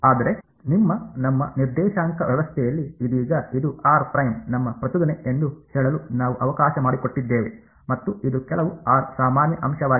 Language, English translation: Kannada, But in your in our coordinate system right now this is what we have let us say this is our impulse is here at r prime and this is some general point r